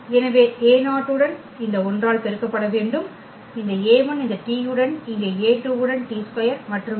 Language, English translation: Tamil, So, a 0 with be multiplied by this 1 and this a 1 with this t here a 2 with t square and so on